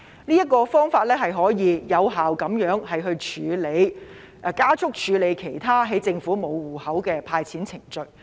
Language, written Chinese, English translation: Cantonese, 這個方法可以有效加速處理政府沒有備存申領者戶口資料的其他"派錢"程序。, This will in turn speed up the disbursement of handouts to those people whose bank account information is not kept by the Government